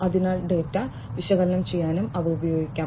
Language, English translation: Malayalam, So, those are those could also be used to analyze the data